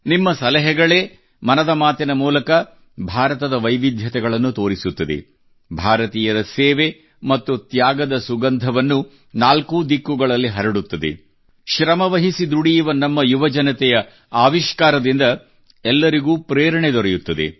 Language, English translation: Kannada, It is your suggestions, through 'Mann Ki Baat', that express the diversity of India, spread the fragrance of service and sacrifice of Indians in all the four directions, inspire one and all through the innovation of our toiling youth